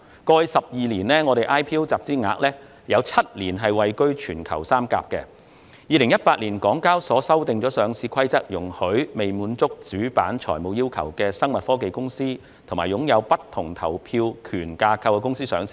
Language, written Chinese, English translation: Cantonese, 香港交易及結算所有限公司於2018年修訂《上市規則》，容許未能滿足主板財務要求的生物科技公司及擁有不同投票權架構的公司上市。, In 2018 the Hong Kong Exchanges and Clearing Limited HKEX amended the Listing Rules to permit listings of biotech companies that do not meet the Main Boards financial eligibility criteria and permit listings of companies with weighted voting right structures